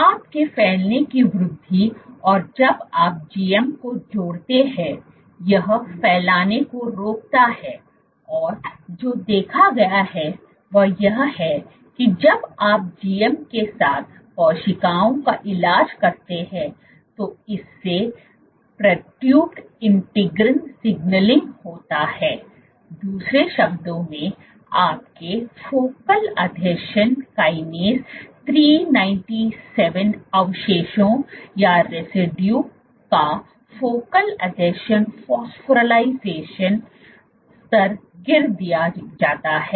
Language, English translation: Hindi, Your spreading increase you add GM it inhibits spreading and what has been observed is when you treat cells with GM this leads to perturbed integrin signaling, in other words your focal adhesion phosphorylation levels of focal adhesion kinase 397 residue is dropped